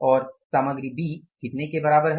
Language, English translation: Hindi, Material A is going to be how much